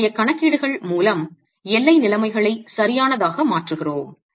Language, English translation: Tamil, And then for our calculations we idealize the boundary conditions